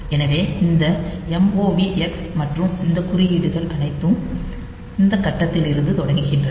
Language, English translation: Tamil, So, there I have got this move X and all these codes they are starting from this point onwards